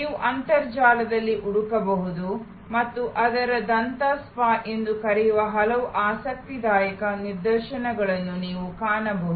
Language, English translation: Kannada, You can search on the internet and you will find many interesting instances of what they call a dental spa